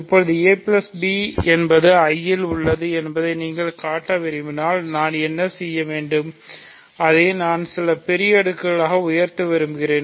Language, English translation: Tamil, So now, if you want to show that a plus b is in I, what I will do is, I want to rise it to some large power